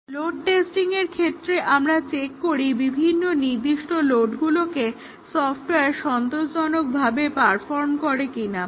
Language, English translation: Bengali, In load testing, we just check whether a different specified load the software performs satisfactorily